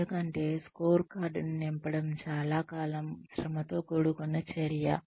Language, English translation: Telugu, Because, filling up the scorecard, is a very long drawn out, a tedious activity